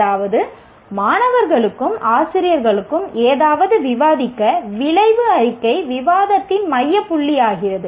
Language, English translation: Tamil, That means even for students and teachers to discuss something, the outcome statements become the focal point for discussion